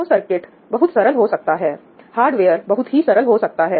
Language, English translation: Hindi, So, the circuit can be much simpler, the hardware can be much simpler